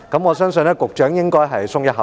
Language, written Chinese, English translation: Cantonese, 我相信局長應該鬆了一口氣。, I believe the Secretary probably feels relieved